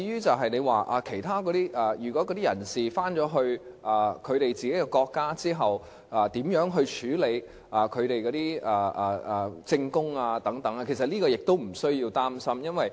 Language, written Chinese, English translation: Cantonese, 至於有關人士返回自己的國家之後，如何處理他們的證供等，這其實亦無須擔心。, As to how the evidence given by the people concerned should be handled after they have returned to their countries this actually gives no cause for worries either